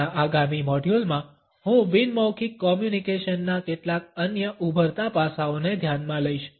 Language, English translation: Gujarati, In our next module, I would take up certain other emerging aspects of non verbal communication